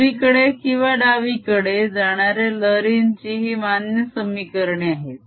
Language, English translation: Marathi, this are valid wave equation for wave travelling to the left or travelling to the right